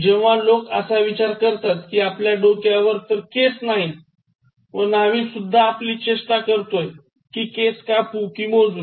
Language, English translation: Marathi, When people think that you have no hair almost on your head and then even somebody like a barber making fun of you, you want me to cut or count